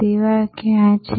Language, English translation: Gujarati, Where is the service